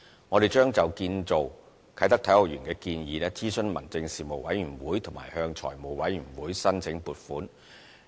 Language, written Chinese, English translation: Cantonese, 我們將就建造啟德體育園的建議諮詢民政事務委員會和向財務委員會申請撥款。, We will consult the Panel on Home Affairs on the construction of the Kai Tak Sports Park and seek funding approval from the Finance Committee